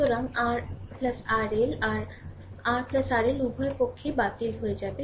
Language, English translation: Bengali, So, R plus R L R plus R L will be cancelled both sides